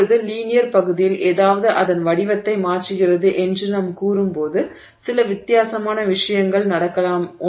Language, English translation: Tamil, Now, in the linear region of the, so when we say something is changing its shape, a few different things can happen